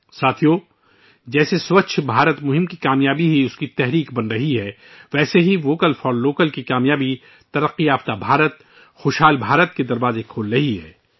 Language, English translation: Urdu, Friends, just as the very success of 'Swachh Bharat Abhiyan' is becoming its inspiration; the success of 'Vocal For Local' is opening the doors to a 'Developed India Prosperous India'